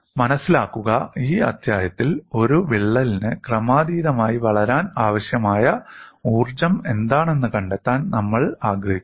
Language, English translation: Malayalam, Mind you, in this chapter, we want to find out what is the energy required for a crack to grow incrementally, and we are proceeding towards that